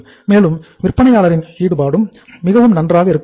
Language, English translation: Tamil, And the vendor engagement should also be very good